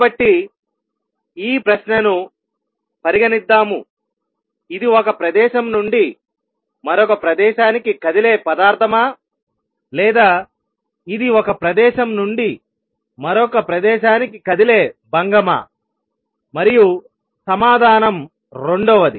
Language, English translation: Telugu, So, let us raise this question; is it a material moving from one place to another or is it a disturbance moving from one place to another and the answer is second one